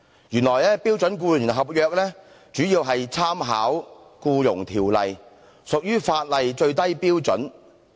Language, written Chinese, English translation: Cantonese, 原來標準僱傭合約主要參考《僱傭條例》，屬於法例最低標準。, In fact the standard employment contract mainly makes reference to the Employment Ordinance which meets the minimum statutory requirements